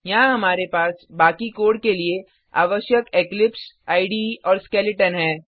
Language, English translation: Hindi, Here We have Eclipse IDE and the skeleton required for the rest of the code